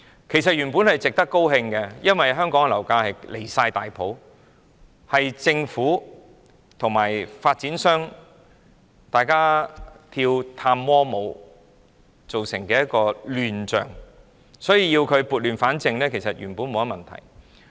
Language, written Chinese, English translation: Cantonese, 其實，這原本是值得高興的，因為香港的樓價十分離譜，是政府與發展商一起跳探戈舞造成的亂象，所以要撥亂反正，原本沒有甚麼問題。, Actually we should be happy about this because property prices in Hong Kong are ridiculously unreasonable . It is a chaotic situation caused by the Governments tango with developers . Hence it is necessary to set things right